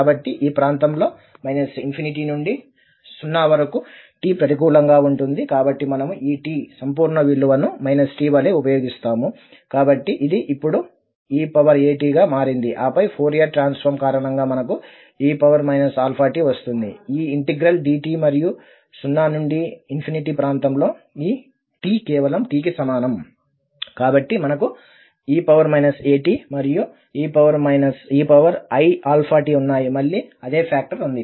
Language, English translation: Telugu, So, in this region minus infinity to 0 when t is negative so we will be using this absolute value of t as minus t, so therefore this has become a t now, and then we have e power i alpha t coming because of the Fourier transform, and then this integral dt, and in the region 0 to infinity we have this t is equal to just t, so we have minus a t and e power minus i alpha t, the same factor again